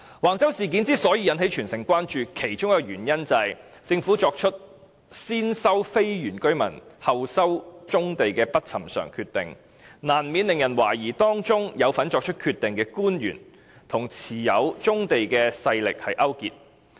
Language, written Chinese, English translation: Cantonese, 橫洲事件之所以引起全城關注，其中一個原因是政府作出先收非原居民村落土地，後收棕地的不尋常決定，難免令人懷疑當中有份作出決定的官員與持有棕地的勢力勾結。, One reason why the Wang Chau incident has aroused extensive public concern is attributed to the Governments unusual decision to first resume the land of the non - indigenous villages but not the brownfield sites . People doubted that the officials who were involved in making the decision had colluded with the rural powers who owned the brownfield sites